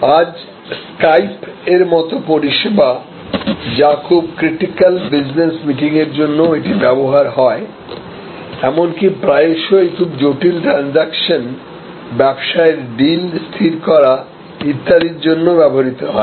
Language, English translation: Bengali, Today, services like Skype or be used for business conferences for very critical meetings, even often used for very hardcore transactions, fixing of business deals and so on